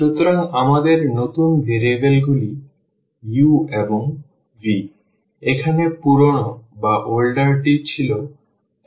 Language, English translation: Bengali, So, our new variables are u and v, the older one here were x and y